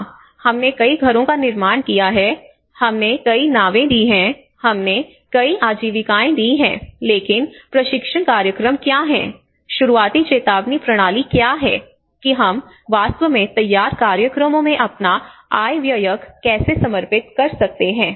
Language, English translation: Hindi, Yes, we have constructed this many houses, we have given this many boats, we have given this many livelihoods, but before what are the training programs, what are the early warning systems you know how we can actually dedicate our budget in the preparedness programs